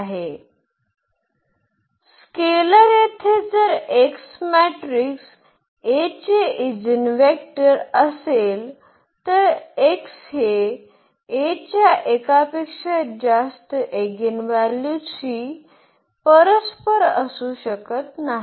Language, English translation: Marathi, Here if x is the eigenvector of the matrix A, then x cannot correspond to more than one eigenvalue of A